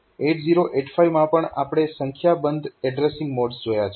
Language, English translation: Gujarati, So, that we know in 8085 also we have seen a number of addressing modes